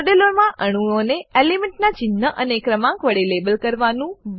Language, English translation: Gujarati, * Label atoms in a model with symbol of the element and number